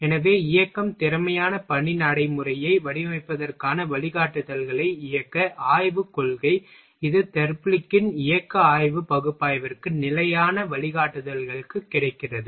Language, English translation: Tamil, So, motion study principle it guidelines for designing motion efficient work procedure, this is for standard guidelines is available for motion study analysis of Therblig